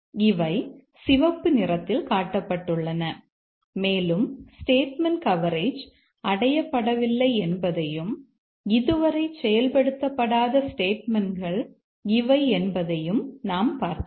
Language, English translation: Tamil, So, these are shown in the red and we know that statement coverage has not been achieved and these are the statements that have not been executed so far